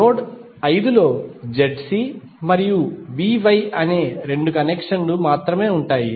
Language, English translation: Telugu, Node 5 will have only two connections that is Z C and V Y